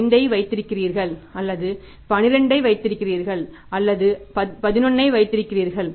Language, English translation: Tamil, 5 or you keep 12 or you keep 11